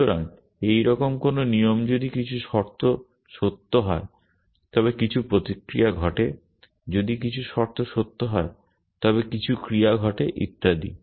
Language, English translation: Bengali, So, rules like this if some conditions are true then some action happens, if some conditions are true then some action happens and so on